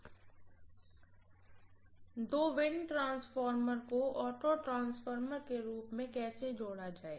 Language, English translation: Hindi, How to connect two wind transformer as an auto transformer